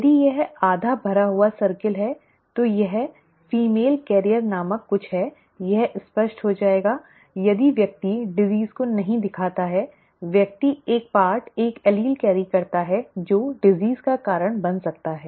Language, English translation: Hindi, If it is a half filled circle then something called a female carrier, it will become clearer, if the person does not show the disease with person carries a part one allele which can cause the disease